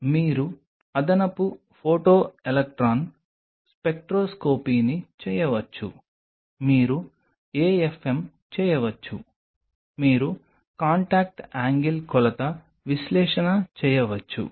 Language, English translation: Telugu, You can do an extra photoelectron spectroscopy you can do an AFM you can do a contact angle measurement analysis